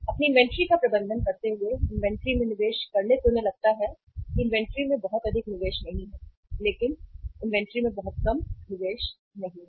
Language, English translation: Hindi, While managing their inventory, making investment in the inventory they have think about that not too much investment in inventory but not too less investment in the inventory